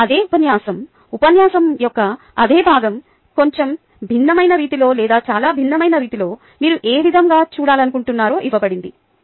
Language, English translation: Telugu, now that was the same lecture, same part of the lecture, which was given in a slightly different way or in a very different way